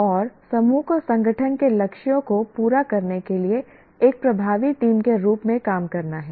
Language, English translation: Hindi, And the group has to work as an effective team to meet the goals of the organization